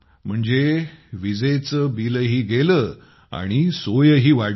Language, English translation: Marathi, Meaning, the electricity bill has also gone and the convenience has increased